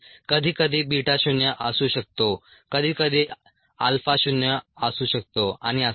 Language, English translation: Marathi, sometimes beta could be zero, sometimes alpha could be zero, and so on